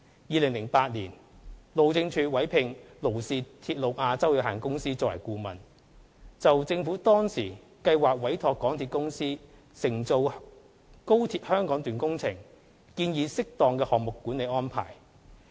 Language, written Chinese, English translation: Cantonese, 2008年，路政署委聘勞氏鐵路亞洲有限公司作為顧問，就政府當時計劃委託香港鐵路有限公司承造高鐵香港段工程，建議適當的項目管理安排。, In 2008 the Highways Department HyD commissioned a consultant Lloyds Register Rail Asia Limited Lloyds to review and develop the appropriate institutional arrangements for entrusting the MTR Corporation Limited MTRCL to implement the project of the Hong Kong Section of the Guangzhou - Shenzhen - Hong Kong Express Rail Link XRL